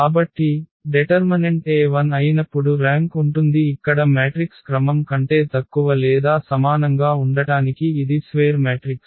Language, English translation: Telugu, So, when determinant A is 0 the rank has to be less than or equal to the order of the matrix here it is a square matrix